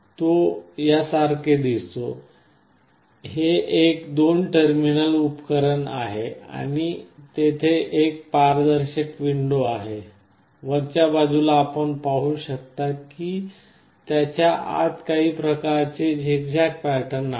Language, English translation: Marathi, Tt looks like this, it is a two terminal device and there is a transparent window, on top you can see some this kind of zigzag pattern inside it this is how an LDR looks like